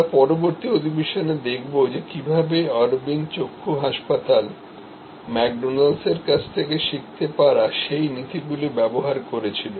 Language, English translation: Bengali, We will see in the next session how Aravind Eye Hospital used those principles that could be learned from McDonalds